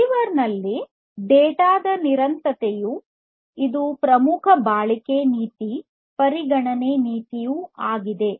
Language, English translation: Kannada, So, the persistence of the data at the receiver is a very important durability policy consideration